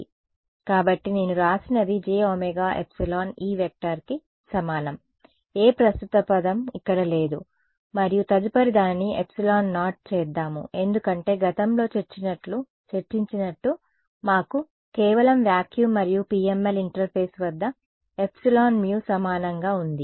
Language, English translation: Telugu, So, that I wrote was equal to j omega epsilon E there is no current term over here and further let us just make it epsilon naught because we had discussed previously that the between the interface I mean at the interface between vacuum and PML epsilon mu were the same right